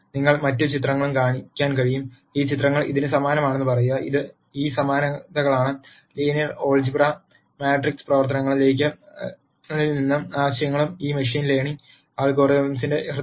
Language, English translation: Malayalam, And you could show other pictures and then say are these pictures similar to this, are these dissimilar, how similar or dissimilar and so on and the ideas from linear algebra matrix operations are at the heart of these machine learning algorithms